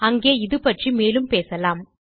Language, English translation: Tamil, We can discuss this further there